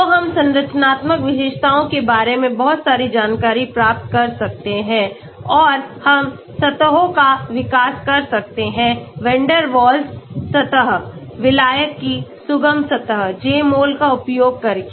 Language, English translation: Hindi, So we can get lot of details about the structural features and we can develop surfaces Van der Waals surface, solvent accessible surface using Jmol